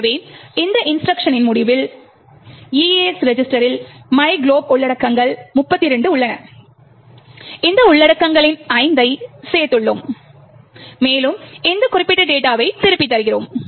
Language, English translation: Tamil, Thus, at the end of this instruction the EAX register has the contents of myglob which is 32, we added 5 to this contents and return this particular data